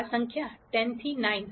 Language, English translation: Gujarati, This number has been changed from 10 to 9